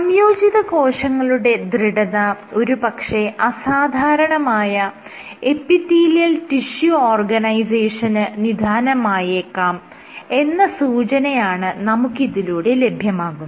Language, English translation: Malayalam, So, these suggest that your tissue stiffness could contribute to aberrant epithelial tissue organization